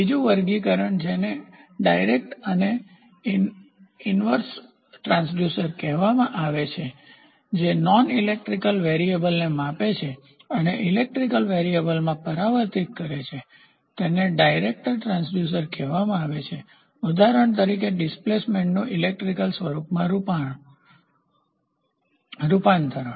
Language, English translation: Gujarati, There is another classification which is called as direct and inverse transducer direct transducer and inverse transducer when the measuring device measures and transforms a non electrical variable into an electrical variable, it is called as direct transducer for example, displacement converted into an electrical form